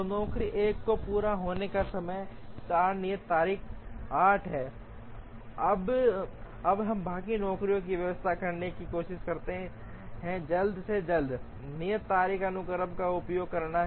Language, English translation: Hindi, So, job 1 completion time is 4 due date is 8, now let us try to arrange the rest of the jobs using an earliest due date sequence